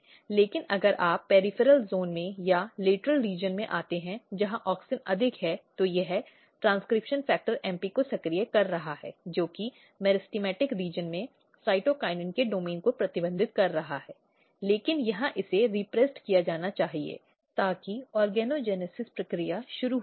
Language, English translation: Hindi, But if you come in the in the lateral region or in the peripheral zone, where auxin is high and auxin is basically activating transcription factor this transcription factor MP is basically restricting the domain of cytokinin domains here in the meristematic region, but here it should be repressed so, that the organogenesis process should start